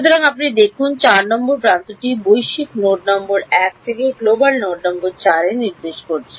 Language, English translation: Bengali, So, you see this edge number 4 is pointing from global node number 1 to global node number ‘4’